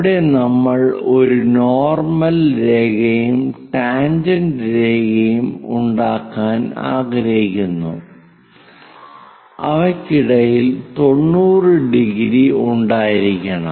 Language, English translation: Malayalam, There we would like to have a normal line and a tangent line which makes 90 degrees